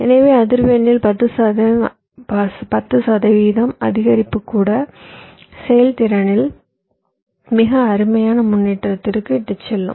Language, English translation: Tamil, so even a ten percent increase in frequency, we will lead to a very fantastic improve in performance